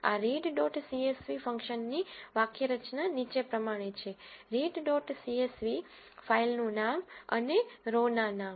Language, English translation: Gujarati, The syntax for this read dot csv function is as follows, read dot csv the filename, and the row names